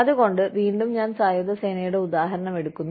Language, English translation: Malayalam, So again, I take the example of the armed forces